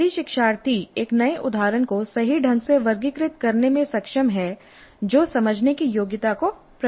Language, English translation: Hindi, So if the learner is able to classify a new instance correctly that demonstrates the understand competency